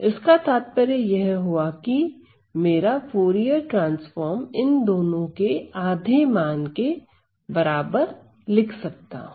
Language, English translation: Hindi, So, which means I can defined by Fourier transform to be half of these two value